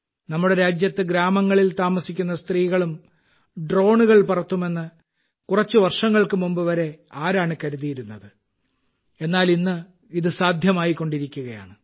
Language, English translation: Malayalam, Who would have thought till a few years ago that in our country, women living in villages too would fly drones